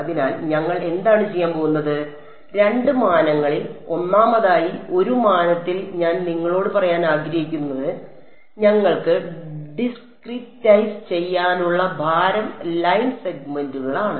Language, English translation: Malayalam, So, what we will do is, in two dimensions, first of all I want to tell you in one dimension we had no choice the weight of discretize is line segments